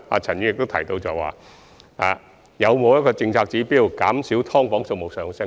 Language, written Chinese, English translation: Cantonese, 陳議員亦問及是否有政策指標，減少"劏房"數目的增加。, Dr CHAN has also enquired about the availability of policy indicators for curbing the increase in subdivided units